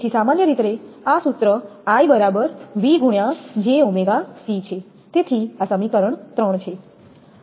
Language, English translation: Gujarati, So, in general this formula I is equal to v into j omega c, so this is equation 3